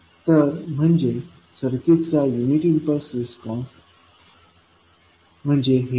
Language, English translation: Marathi, So, this represents unit impulse response of the circuit